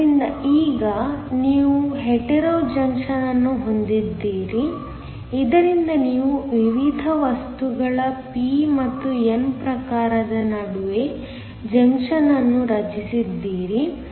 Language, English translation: Kannada, So, now you have a Hetero junction, so that you have a junction formed between p and n type of different materials